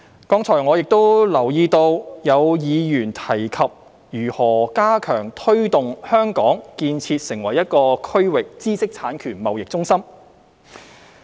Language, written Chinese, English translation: Cantonese, 剛才我亦留意到有議員提及如何加強推動香港建設成為區域知識產權貿易中心。, Just now I also noticed that some Members mentioned how to further promote the development of Hong Kong into a regional intellectual property IP trading centre